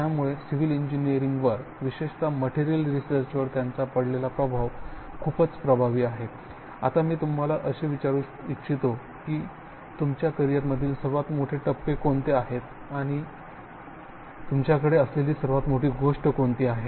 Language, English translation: Marathi, So it is very impressive the impact that he has had on civil engineering, especially the materials research, now what I would like to ask so Suru is what do you think are the greatest milestones in your career or what are the biggest thing that you have sort of brought up and shown